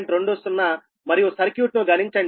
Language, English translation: Telugu, and compute the circuit